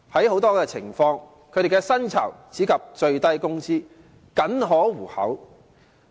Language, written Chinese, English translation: Cantonese, 很多時候，他們的薪酬只達最低工資，僅可糊口。, Very often their salaries which only reach the minimum wage rate can barely eke out a living